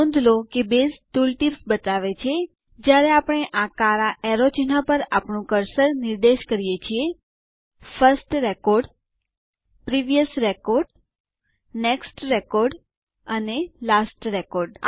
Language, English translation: Gujarati, Notice that Base shows tool tips, when we point our cursor on these black arrow icons: First Record, Previous Record, Next Record, and Last Record